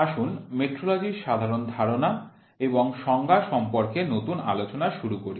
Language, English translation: Bengali, Let us start new lecture on General Concepts and Definitions in Metrology